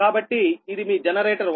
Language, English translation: Telugu, that means you have a generator